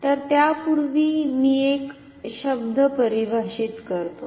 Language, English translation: Marathi, So, before that let me define a term